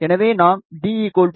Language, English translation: Tamil, If we take let us say d equal to 0